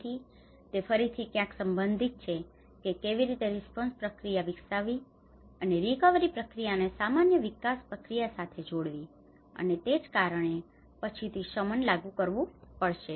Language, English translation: Gujarati, So which again has to somewhere related to you know how this developed the response process, and the recovery process has to be connected with the usual development process and that is where mitigation has to be enforced later on as well